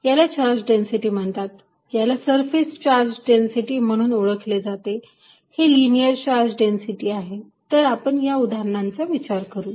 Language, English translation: Marathi, This is known as the charge density, this is known as surface charge density, this is linear charge density, so let us consider these cases